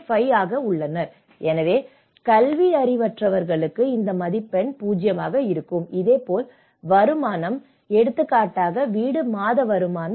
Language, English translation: Tamil, 50 so, for the illiterate this score is 0, so like that income; household monthly income